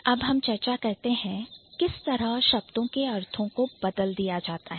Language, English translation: Hindi, So, now let's have a look at it, how the meaning of the words have changed